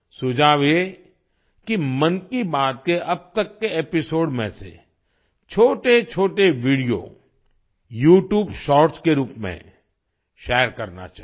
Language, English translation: Hindi, The suggestion is to share short videos in the form of YouTube Shorts from earlier episodes of 'Mann Ki Baat' so far